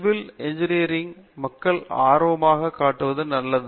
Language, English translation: Tamil, It’s good that people are interested in civil engineering